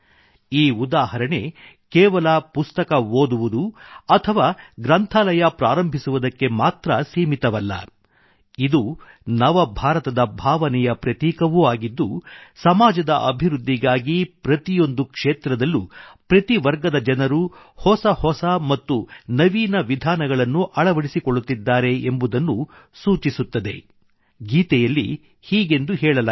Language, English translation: Kannada, These examples are not limited just to reading books or opening libraries, but are also symbolic of that spirit of the New India, where in every field, people of every stratum are adopting innovative ways for the development of the society